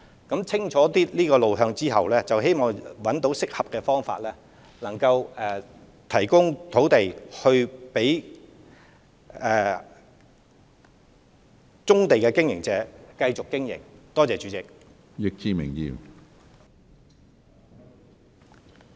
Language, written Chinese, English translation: Cantonese, 當得出清楚路向後，希望能找到適合的方法提供土地，供棕地業務經營者繼續營運。, It is hoped that after a clear way forward has been mapped out suitable ways can be identified for the provision of land to ensure the continual operation of brownfield businesses